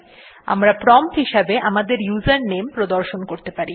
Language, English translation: Bengali, Like we may display our username at the prompt